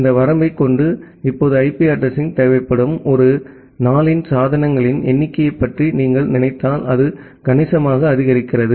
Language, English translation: Tamil, And with this limitation if you just think of the number of devices that we have now a days that require an IP address, it is significantly getting boosted up